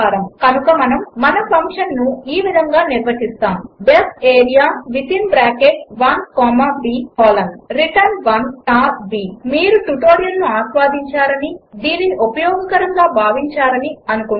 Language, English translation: Telugu, Hence, we define our function as, def area within bracket l comma b colon return l star b Hope you have enjoyed this tutorial and found it useful